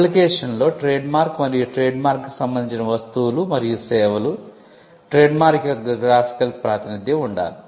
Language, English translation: Telugu, The application should have the trademark, the goods and services relating to the trademark, the graphical representation of the trade mark